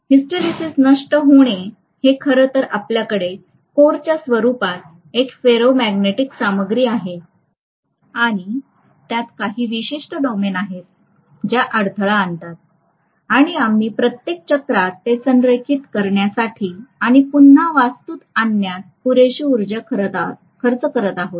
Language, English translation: Marathi, So hysteresis loss is actually due to the fact that we are having a ferromagnetic material in the form of a core and it has certain domains which are obstinate and we are spending enough amount of energy in aligning and realigning them over every cycle